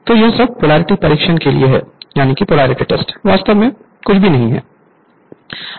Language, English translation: Hindi, So, this is this isthis is all for polarity test nothing is there actually alright